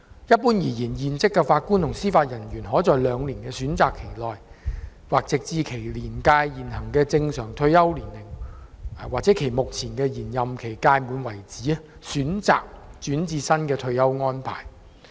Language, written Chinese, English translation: Cantonese, 一般而言，現職法官及司法人員可在兩年的選擇期內，或直至其年屆現行的正常退休年齡/其目前的延任期屆滿為止，選擇轉至新的退休安排。, Generally speaking serving Judges and Judicial Officers JJOs could choose to join the new retirement arrangement during an option period of two years or until the current the date of hisher reaching the normal retirement age or expiry of extension of terms of office whichever was the earlier